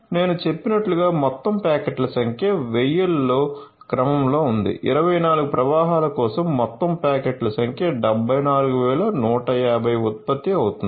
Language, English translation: Telugu, And as I have mentioned the total number of packets is in the order of 1000s so, for 24 flows the total number of packets are generated 74150